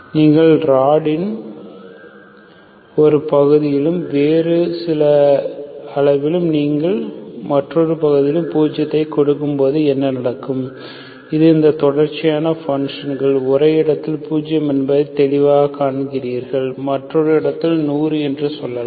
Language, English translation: Tamil, So what happens when you give zero zero degree centigrade in parts of the rod and some other degree, nonzero heat at another part of the bar and you see that clearly it is this continuous function, zero at one place and let s say 100 in one place